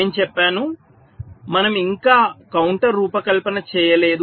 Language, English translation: Telugu, well, i have said we have not yet designed the counter